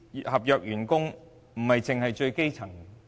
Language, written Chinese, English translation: Cantonese, 合約員工不單是最基層員工。, Contract workers are not confined to those at the most elementary level